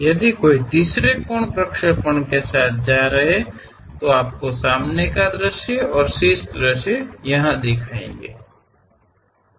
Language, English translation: Hindi, If one is going with third angle projection, your front view and top view